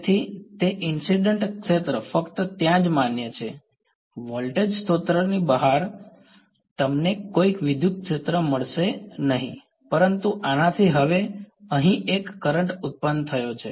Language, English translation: Gujarati, So, that incident field is valid only over there right, outside the voltage source you are not going to find any electric field, but this has now produced a current over here right